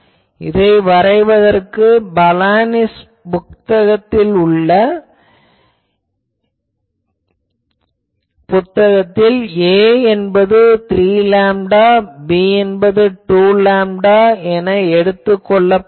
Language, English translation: Tamil, Here, to plot this, this is from Balanis book that he has taken a is equal to 3 lambda, b is equal to 2 lambda